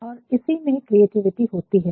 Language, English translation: Hindi, So, that it can be creative